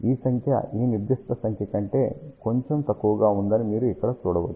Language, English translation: Telugu, You can see that this number is slightly smaller than this particular number here